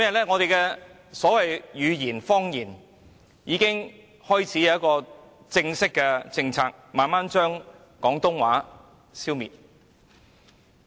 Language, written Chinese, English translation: Cantonese, 本地語言和方言已開始出現一套正式的政策，以期逐漸將廣東話消滅。, An official policy on the local language and dialect has already taken shape to gradually phase out Cantonese